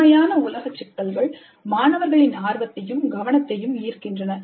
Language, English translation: Tamil, The real old problems capture students' interest and attention